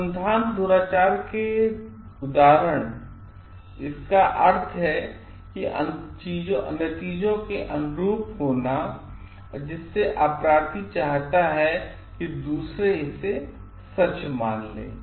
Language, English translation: Hindi, Instances of research misconduct, commonly stem from cutting corners which means conforming to results that the perpetrator wants the others to believe to be true